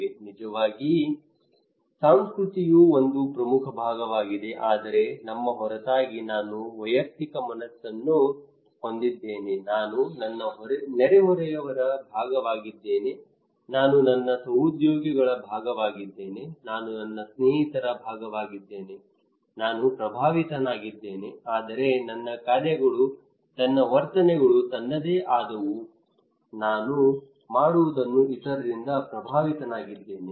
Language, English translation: Kannada, Of course culture is an important part, but apart from we, also I have a mind of individual, I am part of my neighbour, I am part of my colleague, co workers, I am part of my friends, I am influenced by them but my actions my attitudes are my own I am also influenced by others what I do okay